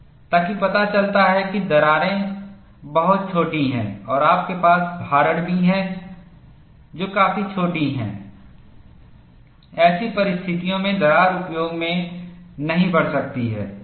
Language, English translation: Hindi, So, that shows that cracks which are very smaller and also you have loading, which is quite small, under such conditions crack may not grow in service